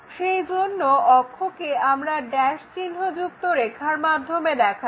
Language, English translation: Bengali, And, the axis we usually show by dash dot lines